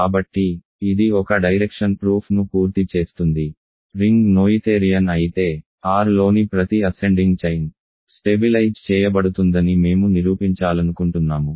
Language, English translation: Telugu, So, this completes the proof of one direction right, we wanted to prove that if a ring is noetherian, every ascending chain of ideals in R is going to stabilize